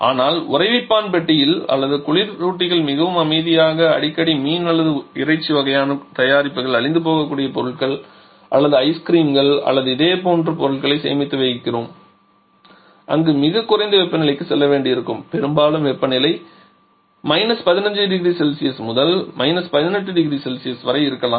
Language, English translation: Tamil, But in the freezer compartment or in the chillers very quite often we store the fish or meat kind of products perishable products or maybe ice creams or similar kind of items there we have to go to much lower temperature quite often a temperature may be in the range of 15 to 18 degree Celsius